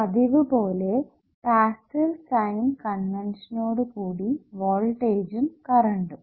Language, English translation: Malayalam, and, as always, i use passive sign convention for the voltage and current definitions